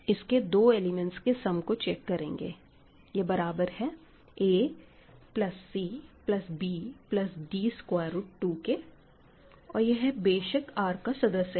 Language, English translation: Hindi, So, again we can check easily that the sum is a plus c plus b plus d root 2; that is no problem right that is in R